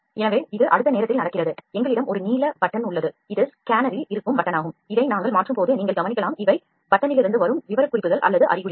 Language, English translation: Tamil, So, this is that happens in the time next is we have a blue button here this is the button that is there in the scanner when we will switch this on you can observe these are the specifications or the indications from the button